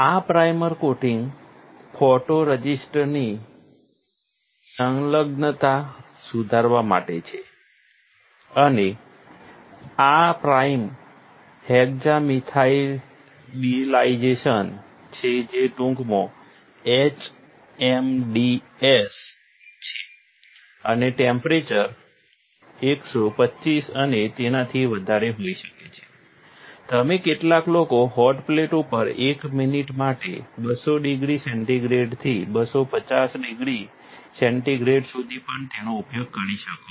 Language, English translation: Gujarati, This primer coating is to improve the adhesion of photoresist and this primer is hexamethyldisilazane which is HMDS, in short, and the temperature can be 125 and above, you, some people also use it 200 degree centigrade to 250 degree centigrade for 1 minute on hot plate